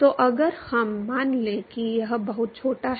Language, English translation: Hindi, So, if we assume that it is very small